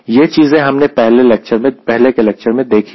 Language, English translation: Hindi, this already i have addressed in earlier lecture